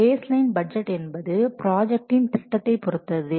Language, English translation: Tamil, The baseline budget is based on the project plan